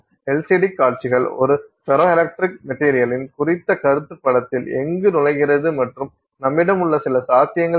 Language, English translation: Tamil, LCD displays where does the concept of a ferroelectric material enter into the picture and you know what what are some possibilities that we have